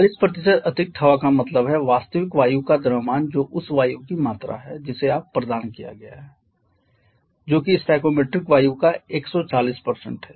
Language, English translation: Hindi, 40% excess air means the mass of actual air is the amount of air that you have been supplied that is 140% of the stoichiometric air 140% or 1